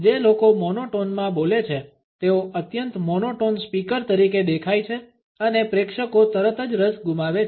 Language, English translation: Gujarati, People who speaks in monotones come across as highly monotones speakers and the audience immediately lose interest